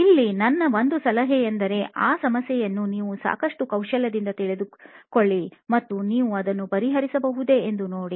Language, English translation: Kannada, Here, my tip is that, one is, you should be skilful enough to take that problem up and see if you can solve that